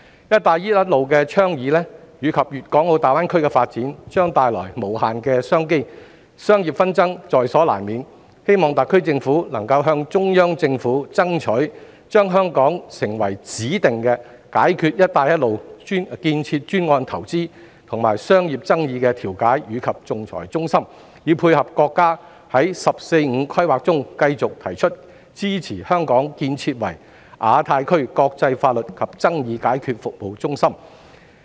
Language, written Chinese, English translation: Cantonese, "一帶一路"的倡議及粵港澳大灣區的發展，將帶來無限商機，商業紛爭在所難免，我希望特區政府能夠向中央政府爭取，讓香港成為解決"一帶一路"建設專案投資和商業爭議的指定調解及仲裁中心，以配合國家在"十四五"規劃中繼續提出的支持香港建設亞太區國際法律及解決爭議服務中心的目標。, The Belt and Road Initiative and the development of the Guangdong - Hong Kong - Macao Greater Bay Area will bring unlimited business opportunities and commercial disputes will inevitably come along . I hope the SAR Government can lobby the Central Government to allow Hong Kong to serve as the designated mediation and arbitration centre for settling investment and commercial disputes in connection with the Belt and Road development projects thereby fitting in with the National 14 Five - Year Plan which has reiterated the support for the objective of developing Hong Kong into a leading centre for international legal and dispute resolution services in the Asia Pacific region